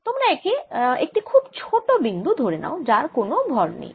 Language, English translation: Bengali, you can imagine this to be a very small point, mass with zero mass